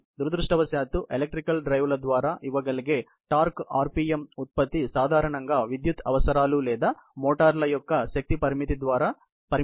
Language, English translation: Telugu, Unfortunately, the kind of a you know torque rpm product that can be given by electrical drives, are typically limited by the power requirements or power limitation of the motors, which drive such systems